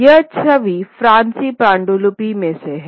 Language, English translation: Hindi, This is a Persian, an image from a Persian manuscript